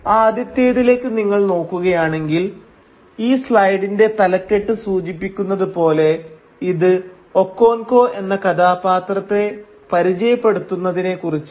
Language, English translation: Malayalam, So if you look at this first one, as the title of this slide tells you this is about introducing the character Okonkwo